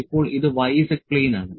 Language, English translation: Malayalam, This is z y plane, this is z x plane